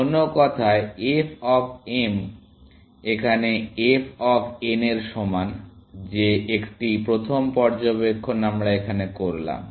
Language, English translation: Bengali, In other words, f of m is equal to f of n; that is a first observation we make